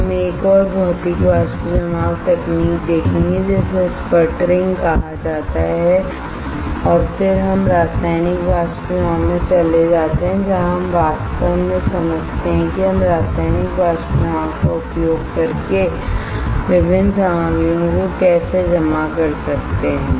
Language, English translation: Hindi, We will see one more Physical Vapor Deposition technique that is called sputtering and then we move to Chemical Vapor Deposition where we really understand how we can deposit the different materials using Chemical Vapor Deposition